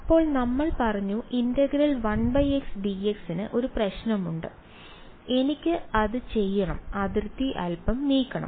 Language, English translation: Malayalam, Then we said that 1 by x d x has a problem so, I have to move the boundary a little bit